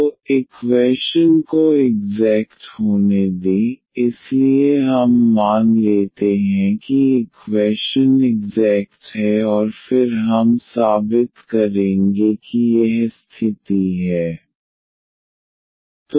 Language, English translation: Hindi, So, let the equation be exact, so we assume that the equation is exact and then we will prove that this condition holds